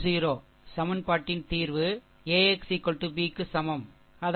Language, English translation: Tamil, 10 that is your AX is equal to B, right